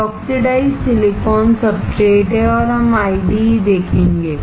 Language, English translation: Hindi, This is oxidized silicon substrate and we will see IDEs